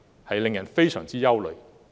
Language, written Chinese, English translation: Cantonese, 這令人非常憂慮。, This has caused us grave concern